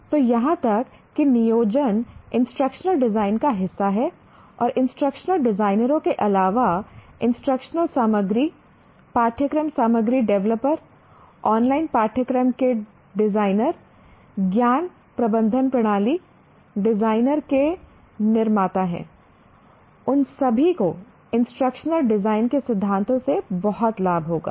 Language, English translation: Hindi, And there are a whole bunch of, besides instruction designers, there are producers of instructional materials, curriculum material developers, designers of online courses, knowledge management system designers, all of them will greatly benefit from the principles of instructional design